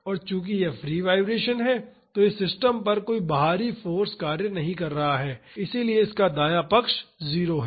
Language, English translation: Hindi, And since it is free vibration, there is no external force acting on this system so, the right hand side is 0